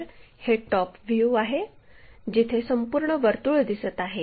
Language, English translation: Marathi, This is the top view, complete circle visible